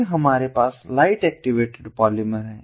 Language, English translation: Hindi, then we have the light activated from polymers